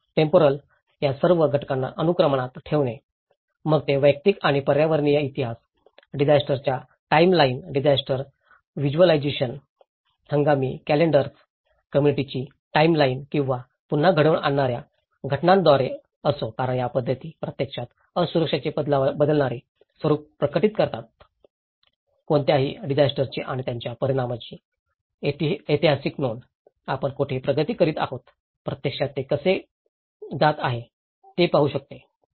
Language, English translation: Marathi, The temporal; so putting all these events in a sequence, whether it is through personal and ecological histories, disaster timelines, disaster visualization, seasonal calendars, community timelines or re enacting events because these methods will actually reveal the changing nature of vulnerability, if you look at a historical record of any disaster and its impact, one can see where we are progressing, where how it is actually heading to